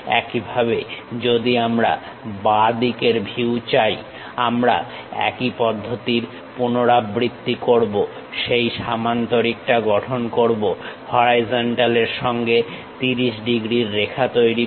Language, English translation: Bengali, Similarly, if we want left side view we repeat the same process construct that parallelogram, making horizon 30 degrees line